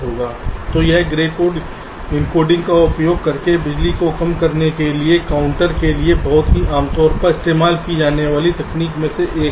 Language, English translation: Hindi, so this is one of the very commonly used designed technique for a counter to reduce power by using grey code encoding